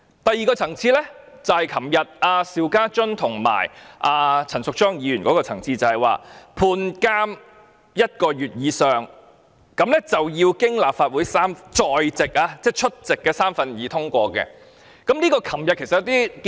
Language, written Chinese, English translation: Cantonese, 第二個情況適用於昨天邵家臻議員和陳淑莊議員的情況，就是判監一個月以上，就要經過立法會在席的三分之二議員通過。, Another circumstance which is applicable to Mr SHIU Ka - chuns and Ms Tanya CHANs situation is that when a Member is sentenced to one - month imprisonment or more and a motion is passed by two - thirds of the Legislative Council Members present . Under this circumstance the Member will be relieved of his or her duties